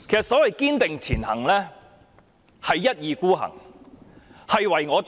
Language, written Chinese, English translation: Cantonese, 所謂"堅定前行"，其實是一意孤行、唯我獨專。, The so - called Striving ahead actually means moving ahead obstinately and autocratically